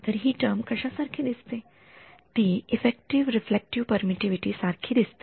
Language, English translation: Marathi, So, what is this term look like it looks like effective relative permittivity